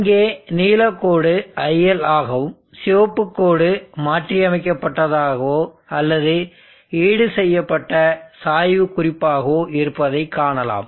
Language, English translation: Tamil, Now here you see the blue line is il and the red line is the modified or the slope compensated reference